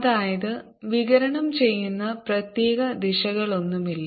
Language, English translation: Malayalam, that means there is no particular direction in which radiates is prefer